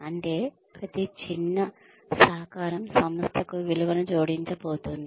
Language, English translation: Telugu, That, every little bit, every little contribution, is going to add value to the organization